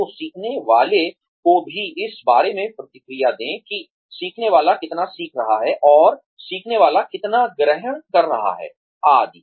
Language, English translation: Hindi, So, let the learner also, give you feedback about, how much the learner is learning and how much the learner is absorbing, etcetera